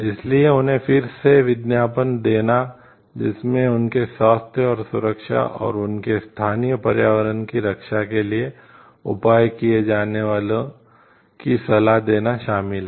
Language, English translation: Hindi, So, that and again including like a advertising them, including advising them for measures to be taken to protect their health and safety and their local environment